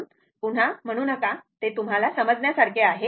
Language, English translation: Marathi, So, not saying again and again; it is understandable to you , right